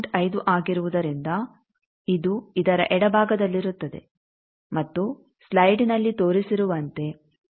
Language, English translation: Kannada, 5 it will be to the left of this and as we have shown in the slide that 0